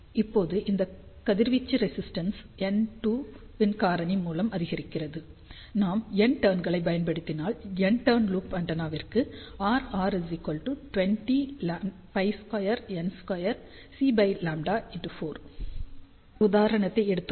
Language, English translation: Tamil, Now, this radiation resistance increases by a factor of N square, if we use n turn, so for N turn loop antenna R r becomes N square times this particular expression